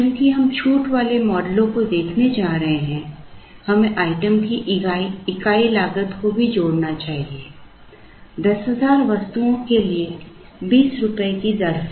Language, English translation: Hindi, Since, we are going to look at discount models we should also add the unit cost of the item, at the rate of rupees 20 for 10,000 items